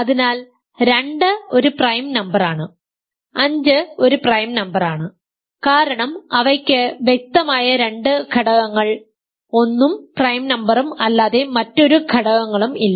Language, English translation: Malayalam, So, 2 is a prime number, five is a prime number because they do not have any factors other than the obvious two factors 1 and that prime number